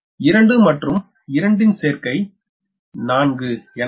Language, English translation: Tamil, so it will be multiplied by two